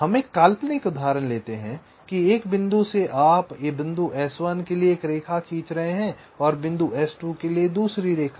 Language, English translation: Hindi, it may so happen that lets take hypothetic example that from one point you are drawing a line to a point s one and another line to a point s two